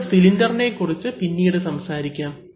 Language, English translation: Malayalam, So, we can talk about the cylinder later